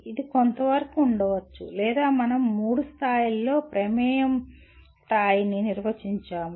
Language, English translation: Telugu, It may be to a certain degree or we define the level of involvement at three levels